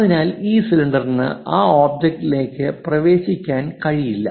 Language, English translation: Malayalam, So, this cylinder cannot be entered into that object